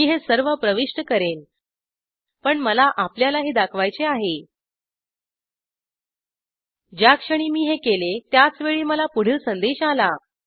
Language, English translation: Marathi, I will enter all this but i want to show you , The moment i do that i get the message given here